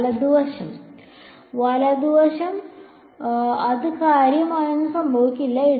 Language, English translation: Malayalam, The right hand side, the right hand side nothing much will happen to it